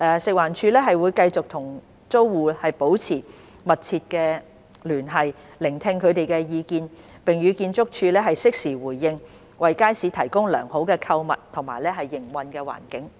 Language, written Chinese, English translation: Cantonese, 食環署會繼續與租戶保持密切聯繫，聆聽他們的意見，並與建築署適時回應，為街市提供良好的購物及營運環境。, FEHD will continue to maintain close liaison with the tenants take heed of their views and provide timely response in collaboration with ArchSD with a view to creating a favourable shopping and operating environment for the Market